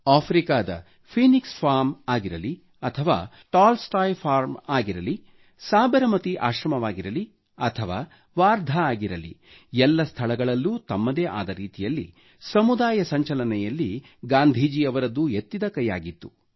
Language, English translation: Kannada, Whether it was the Phoenix Farm or the Tolstoy Farm in Africa, the Sabarmati Ashram or Wardha, he laid special emphasis on community mobilization in his own distinct way